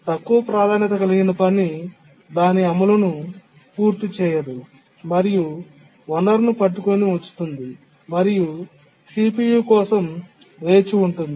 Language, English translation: Telugu, The low priority task cannot complete its execution, it just keeps on holding the resource and waits for the CPU